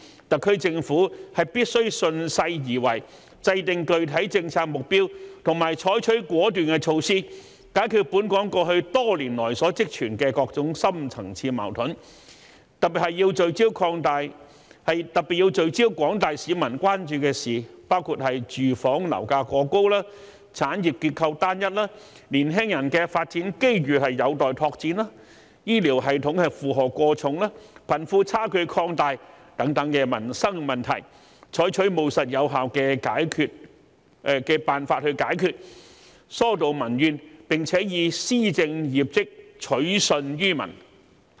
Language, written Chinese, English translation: Cantonese, 特區政府必須順勢而為，制訂具體政策目標及採取果斷措施，解決本港過去多年來所積存的各種深層次矛盾，特別是要聚焦廣大市民關注的事項，包括住房樓價過高、產業結構單一、年輕人的發展機遇有待拓展、醫療系統負荷過重、貧富差距擴大等民生問題，採取務實有效的辦法解決，疏導民怨，並以施政業績取信於民。, The SAR Government should follow the trend set specific policy objectives and take decisive measures to resolve the various kinds of deep - rooted conflicts that have existed in Hong Kong over the years . It should particularly focus on issues of concern to the general public including the runaway property prices the uniformity of industrial structure the need to expand development opportunities for young people the overburdened healthcare system the widening gap between the rich and the poor and other livelihood issues . The Government should take pragmatic and effective measures to resolve these problems and alleviate public grievances as well as win the trust of the people with its performance in governance